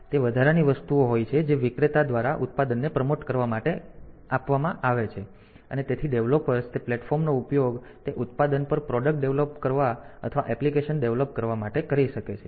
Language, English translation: Gujarati, So, they are the additional things that are done by the vendor to promote the product so that the developers can use those platforms to develop product on or develop applications on that product